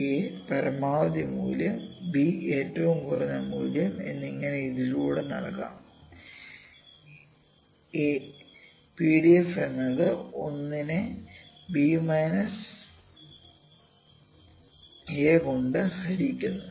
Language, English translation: Malayalam, The minimum value where is a and the maximum value is b and PDF of this can be given by this is a and PDF is equal to it is 1 by b minus a, ok